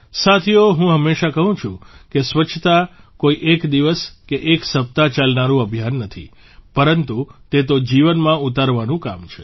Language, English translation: Gujarati, Friends, I always say that cleanliness is not a campaign for a day or a week but it is an endeavor to be implemented for life